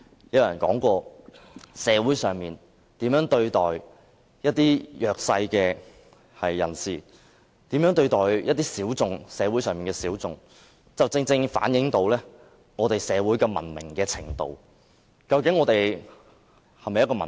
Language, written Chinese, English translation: Cantonese, 有人說過，社會如何對待弱勢人士，如何對待社會上的小眾，正好反映出社會的文明程度：究竟我們的社會是否文明？, Some people say that the way a society treats the underprivileged and the disadvantaged minority can reflect the degree of civilization in society and if our society is civilized